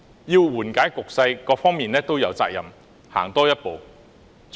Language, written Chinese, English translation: Cantonese, 要緩解局勢，各方面都有責任多走一步。, To ease the situation each party has the responsibility to take one more step forward